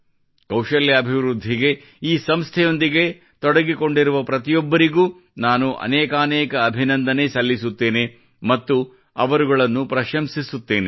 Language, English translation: Kannada, I congratulate and appreciate all the people associated with this organization for skill development